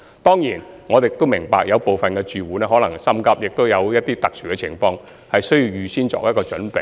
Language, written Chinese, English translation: Cantonese, 當然，我們亦明白有部分準租戶可能心急或有特殊情況需要預先作準備。, Of course we also understand that some prospective tenants may be anxious or have to make preparation in advance due to extraordinary circumstances